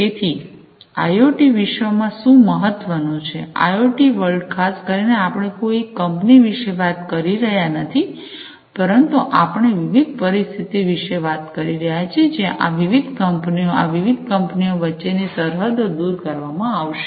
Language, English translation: Gujarati, So, what is important in the IoT world; IIoT world, more specifically, is we are talking about not a single company, but we are talking about a situation a scenario, where these different companies, the borders between these different companies are going to be removed